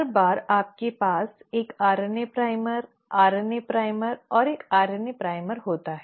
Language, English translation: Hindi, Every time you have a RNA primer,RNA primer and a RNA primer